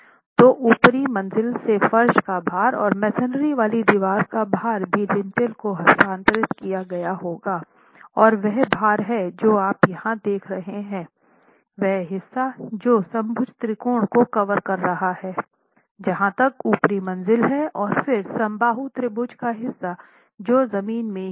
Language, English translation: Hindi, So, the floor load and the masonry wall load from the upper story will also be transferred to the lintel and that's the load that you are looking at here which is the portion that the equilateral triangle is covering as far as the upper story is concerned and then the part of the equilateral triangle which is in the ground story itself